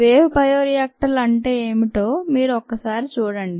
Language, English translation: Telugu, you can take a look at what wave bioreactors are